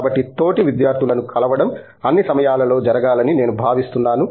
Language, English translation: Telugu, So, I think that students meeting fellow students has to be happening all the time